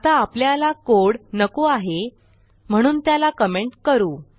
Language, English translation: Marathi, Now I want to get rid of this code so Ill comment this out